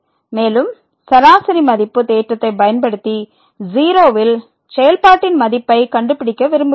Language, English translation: Tamil, And, using mean value theorem we want to find the value of the function at